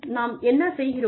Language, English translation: Tamil, Now, what do you do